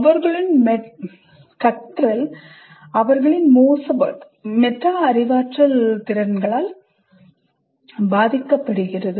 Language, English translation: Tamil, Their learning is influenced by their poor metacognition abilities